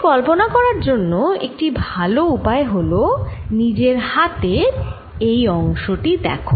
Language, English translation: Bengali, a one way of good way of visualizing it: look at this part of your hand